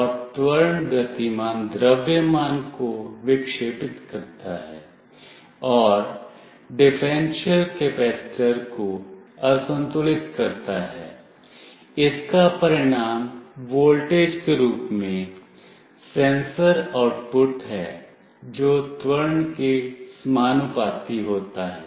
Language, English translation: Hindi, And the acceleration deflects the moving mass and unbalances the differential capacitor, this results in a sensor output as voltage that is proportional to the acceleration